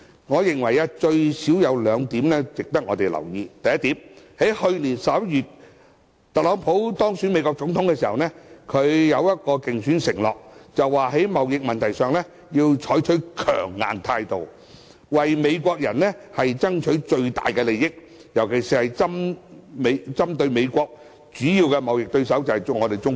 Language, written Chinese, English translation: Cantonese, 我認為最少有兩點值得留意：第一，去年11月，特朗普當選美國總統時作出一個競選承諾，便是在貿易問題上，要採取強硬態度，為美國人爭取最大利益，尤其針對美國主要貿易對手，即中國。, I believe there are at least two points we have to pay attention to first Donald TRUMP vowed to take a hard line on trade issues for the greatest benefits of the American people when he made his first election promise shortly after being elected the next President of the United States last November . He specially targeted the major trade competitor that is China